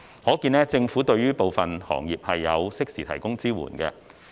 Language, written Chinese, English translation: Cantonese, 可見，政府對於部分行業有適時提供支援。, Similarly the catering industry has also Government has extended timely support to certain industries